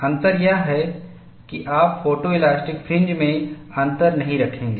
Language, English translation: Hindi, The difference is, you will not have a gap in the photo elastic fringes there